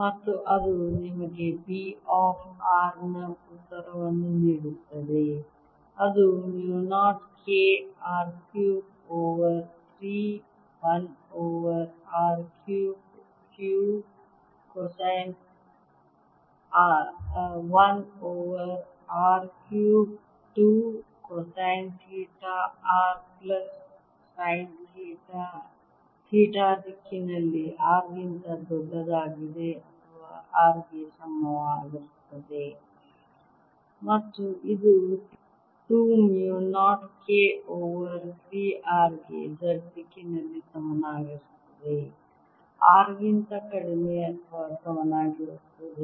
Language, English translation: Kannada, b of r is equal to mu naught k r cubed over three, one over r cubed two cosine theta r plus sine theta in theta direction for r greater than or equal to r, and this is equal to two mu naught k over three r in the z direction for r less than or equal to r